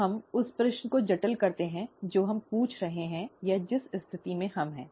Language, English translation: Hindi, Now let us complicate the question that we are asking or the situation that we are in